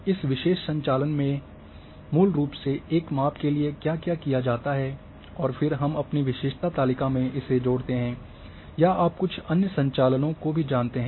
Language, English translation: Hindi, In in this particular operation what basically is a measurements are done and then we add a in our attribute table or do some you know other operations